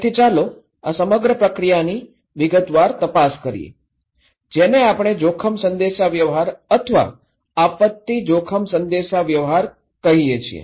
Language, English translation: Gujarati, So, let us look into the detail of this entire process, which we call risk communications or disaster risk communications